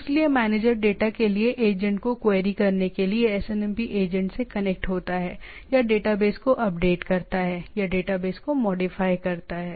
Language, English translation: Hindi, So the manager connects to the SNMP agent to either query the agent for data or update the database or modify the database